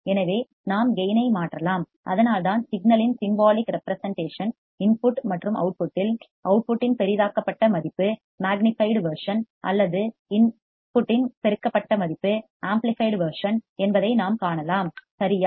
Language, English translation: Tamil, So, we can change the gain and that is why the symbolic representation of the signal at the input and the output we can see that the output is magnified version or amplified version of the input, correct